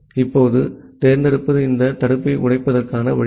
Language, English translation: Tamil, Now select is the way to break this blocking